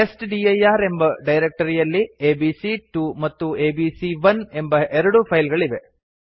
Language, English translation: Kannada, The testdir directory contains two files abc2 and abc1